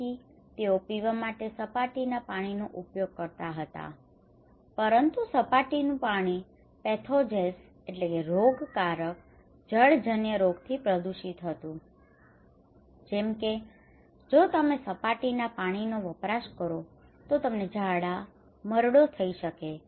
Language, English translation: Gujarati, So they used to have surface water for drinking, but surface water was contaminated by pathogens waterborne disease like if you are consuming surface water you can get diarrhoea, dysentery